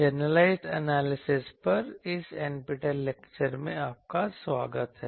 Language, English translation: Hindi, Welcome to this NPTEL lecture on generalized analysis